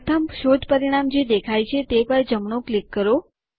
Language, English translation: Gujarati, Right click on the first search result that appears